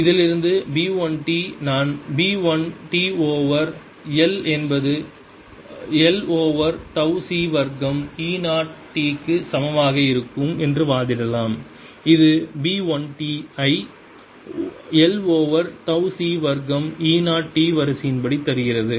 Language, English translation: Tamil, i can argue from this that b one t i am going to have b one t over l is equal to one over c square tau e zero t, which gives me b one t of the order of l over c square tau e zero t